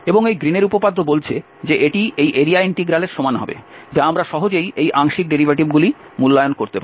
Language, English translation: Bengali, And this Green’s theorem says that this will be equal to this area integral which we can easily evaluate these partial derivatives